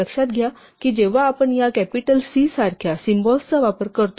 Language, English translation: Marathi, Note that when we write symbols like this capital C is different from small c and so on